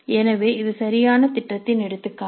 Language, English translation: Tamil, So this is an example of a valid plan